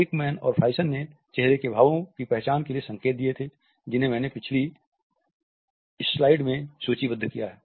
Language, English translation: Hindi, Ekman and Friesen have suggested cues for recognition of facial expressions, which I have listed in a previous slide